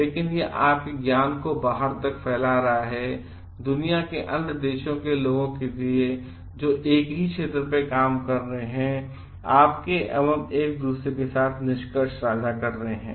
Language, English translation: Hindi, But it is also disseminating your knowledge to the outside world to the other people, who are working on the same domain and sharing of your findings with each other